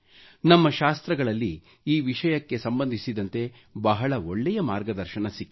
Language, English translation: Kannada, Our scriptures have provided great guidance with respect to this subject